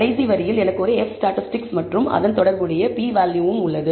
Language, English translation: Tamil, At the last line I have an F statistic and a corresponding p value associated with it